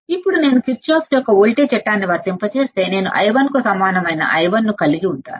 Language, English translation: Telugu, Now, if I apply Kirchhoff’s voltage law, what will I have i 1 equal to i 1 equal to